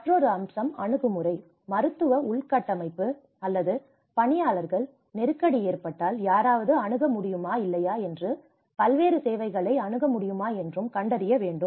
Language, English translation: Tamil, Another aspect is accessible: Whether the medical infrastructure or the personnel are accessible to you or not, in the event of crisis can someone access these infrastructure and services